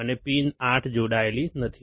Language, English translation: Gujarati, And pin 8 is not connected